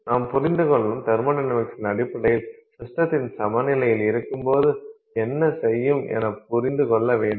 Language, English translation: Tamil, Then based on the thermodynamics, we understand what will the system do when it is at equilibrium